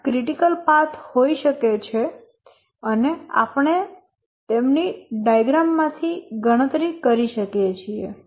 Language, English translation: Gujarati, We can have the critical paths there and we can compute them from the diagram